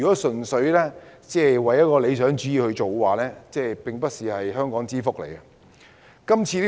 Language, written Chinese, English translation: Cantonese, 純粹按照理想主義行事，並非香港之福。, Acting purely on the basis of idealism will not serve the interest of Hong Kong